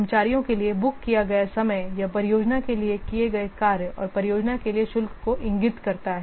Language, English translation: Hindi, The staff time booked to a project indicates the work carried out and the charges to the project